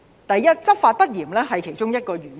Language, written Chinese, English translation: Cantonese, 第一，執法不嚴是其中一個原因。, What are the reasons for that? . First lax enforcement is one of them